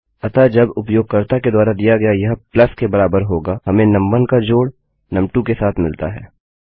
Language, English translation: Hindi, So when this equals to plus supplied by the user, we have num1 added to num2